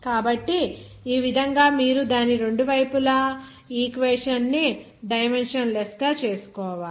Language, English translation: Telugu, So in this way, you have to make the equation dimensionless on its both sides